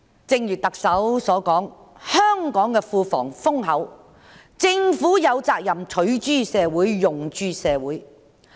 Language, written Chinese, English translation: Cantonese, 正如特首所說，香港的庫房豐厚，政府有責任取諸社會、用諸社會。, As the Chief Executive has said with ample fiscal reserves it is the Governments responsibility to use resources derived from the community for the good of the community